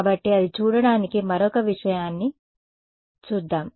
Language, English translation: Telugu, So, to see that let us have a look at one other thing